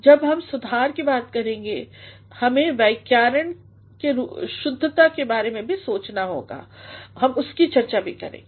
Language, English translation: Hindi, When we talk of correction, we also have to think about grammatical correctness that we shall also be discussing